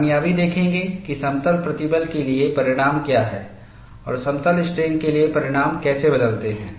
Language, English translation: Hindi, We will also look at what way the results of plane stress, and how the results change for plane strain